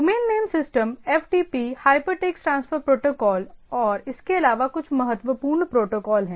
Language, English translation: Hindi, So, Domain Name Systems, FTP, Hypertext Protocol and so and so forth as some of the important protocols